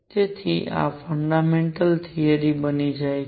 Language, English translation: Gujarati, So, this becomes the fundamental principle